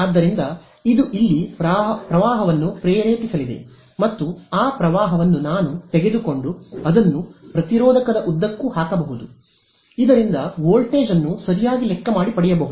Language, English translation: Kannada, So, this is going to induce a current over here and that current I can take it and drop it across the resistor calculate the voltage and basically get this thing right